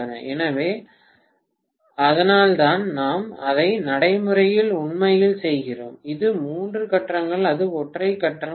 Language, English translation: Tamil, So, that is why whatever we actually do it in practice, that is all three phase, it is not single phase